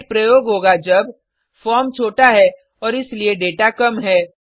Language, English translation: Hindi, GET Method is used when: the form is small and hence the data is less